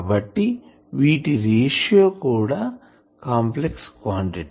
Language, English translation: Telugu, So, this ratio is also a complex quantity